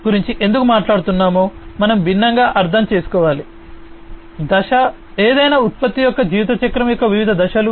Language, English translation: Telugu, So, why we are talking about all of these things, we need to understand the different phase, the different phases of the lifecycle of any product